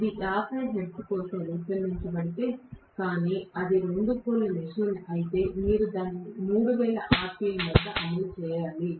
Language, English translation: Telugu, If it is designed for 50 hertz, but if it is a 2 pole machine you have to run it at 3000 rpm